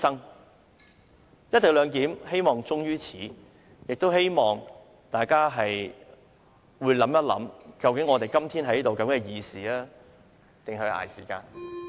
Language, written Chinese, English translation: Cantonese, 我希望"一地兩檢"終於此，亦希望大家會想想，究竟我們今天在這裏是議事或是捱時間？, I hope that the co - location arrangement will end here . I urge Members to ponder whether we are debating or just trying to pass time